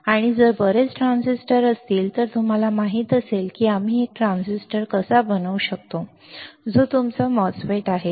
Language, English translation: Marathi, And if there are a lot of transistors at least you know how we can fabricate one transistor, one transistor that is your MOSFET